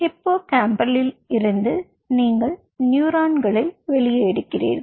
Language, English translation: Tamil, ok, so from the hippocampus you take out the neurons